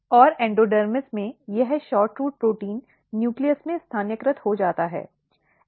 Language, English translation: Hindi, And in endodermis, what happens, this SHORTROOT proteins get localized to the nucleus